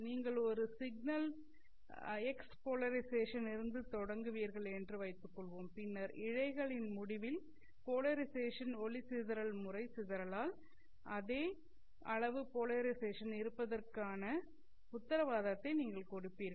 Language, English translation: Tamil, Suppose you launch a signal at x polarization, then at the end of the fiber, you are guaranteed to have the same polarization by the polarization mode dispersion